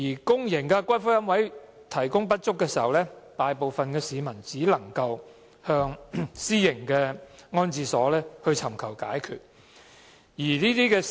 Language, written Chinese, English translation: Cantonese, 公營龕位提供不足，大部分市民只能向私營龕場尋求解決。, Given the inadequate supply of public niches most people can only turn to private columbaria